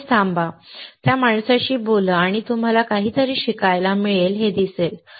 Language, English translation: Marathi, Just stop by there, talk with that guy and you will see that you will learn something